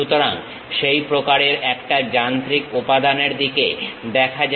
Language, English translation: Bengali, So, let us look at one such kind of machine element